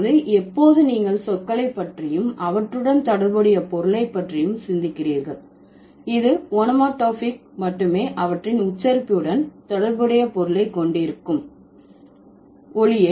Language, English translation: Tamil, So, that means when you are thinking about words and their corresponding meaning, it's only the onomatopic words which will have their meaning associated with their pronunciation